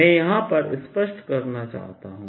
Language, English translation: Hindi, i just want to make one point